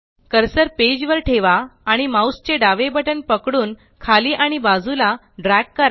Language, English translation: Marathi, Place the cursor on the page, hold the left mouse button and drag downwards and sideways